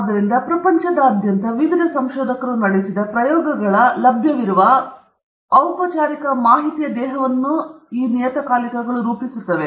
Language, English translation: Kannada, So, that constitutes a body of formal information that is available of experiments that have been conducted by various researchers all over the world okay